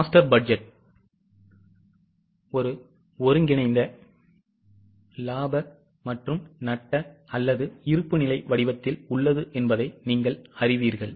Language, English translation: Tamil, You know that master budget is in a form of a consolidated P&L or a balance sheet